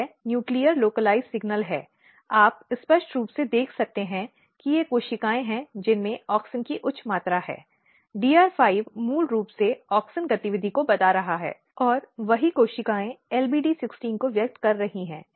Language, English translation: Hindi, So, if you look the process and this is nuclear localized signal, you can clearly see that these are the cells which are having high amount of auxin DR5 is basically telling the auxin activity, and the same cells they are expressing LBD 16